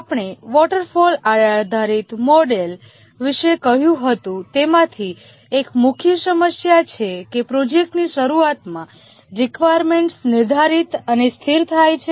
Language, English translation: Gujarati, One of the main problem that we had said about the waterfall based model is that the requirement is defined and frozen at the start of the project